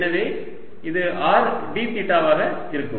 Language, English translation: Tamil, so this is going to be d